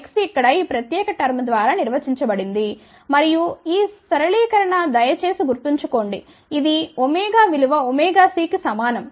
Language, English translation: Telugu, x is defined by this particular term over here and this simplification is please remember it is for omega equal to omega c